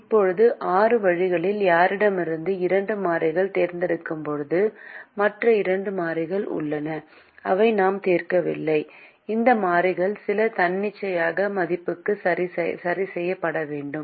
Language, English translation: Tamil, now, when we choose the two variables in anyone out of the six ways, we have the other two variables which we are not solving for, and these variables have to be fixed to some arbitrary value